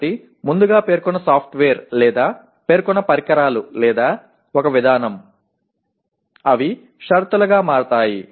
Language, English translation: Telugu, So pre specified software or the stated equipment or a procedure, they become conditions